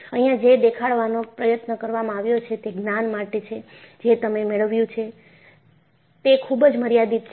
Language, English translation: Gujarati, What is attempted to be shown here is the knowledge, you gained is limited